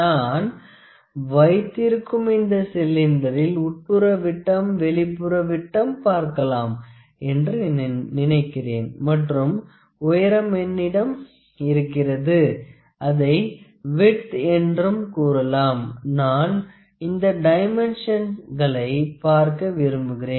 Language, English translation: Tamil, So, now I have this cylinder, for which I like to see the internal dia, the external dia and also we have the height or what we can call it width, I like to see this dimensions